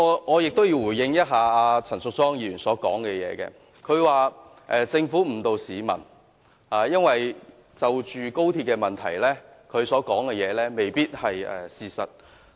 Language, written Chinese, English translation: Cantonese, 我亦要回應陳淑莊議員剛才的發言，她說政府誤導市民，但有關高鐵問題方面，她所說的未必是事實。, I would like to respond to Ms Tanya CHANs comments just now . She said that the Government misled the people but as far as the XRL issue was concerned what she said might not be true